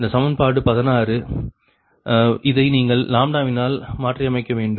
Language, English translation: Tamil, all right, this equation sixteen: you replace it by lambda